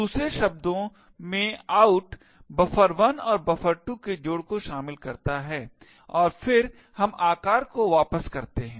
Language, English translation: Hindi, In other words out comprises of the concatenation of buffer 1 and buffer 2 and then we return the size